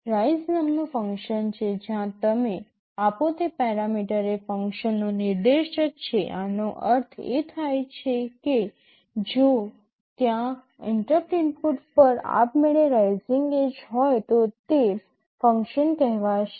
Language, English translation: Gujarati, There is a function called rise, where a parameter you give is a pointer to a function; this means if there is a rising edge on the interrupt input automatically that function will be called